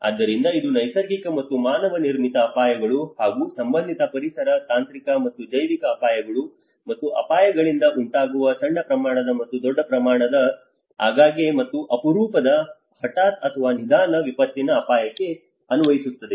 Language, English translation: Kannada, So this will apply to the risk of small scale and large scale, frequent and infrequent, sudden and slow onset disaster caused by natural and man made hazards as well as related environmental, technological and biological hazards and risks